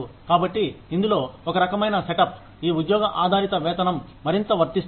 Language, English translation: Telugu, So, in this kind of a set up, this job based pay is more applicable